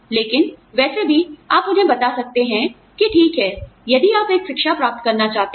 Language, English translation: Hindi, But, anyway, you could tell them that, okay, if you want to go and get an education